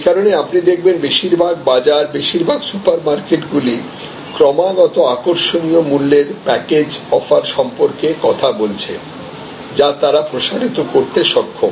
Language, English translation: Bengali, So, that is why you will see the most of the bazaars, most of the super markets they continuously harp on the attractive pricing package offers which they are able to extend